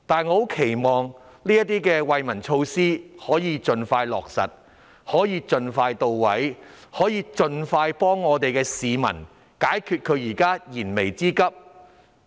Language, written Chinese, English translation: Cantonese, 我期望這些惠民措施能夠盡快落實、盡快到位、盡快幫助市民解決燃眉之急。, I hope these relief measures can be expeditiously and adequately implemented to meet the publics urgent needs